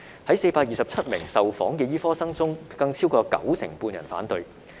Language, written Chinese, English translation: Cantonese, 在427名受訪的醫科生中，更有超過九成半人反對。, Among the 427 medical students interviewed more than 95 % opposed the Bill